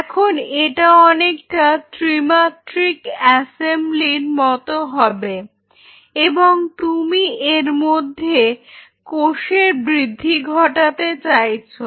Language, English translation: Bengali, So, this is what it will be it will be more like a 3 dimensional assembly now and you wanted to grow the cells in it